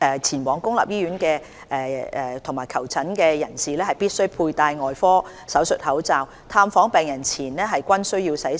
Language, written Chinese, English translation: Cantonese, 前往公立醫院和診所的人士，必須佩戴外科手術口罩，探訪病人前後均需洗手。, Visitors to public hospitals and clinics are required to put on surgical masks and perform hand hygiene before and after visiting patients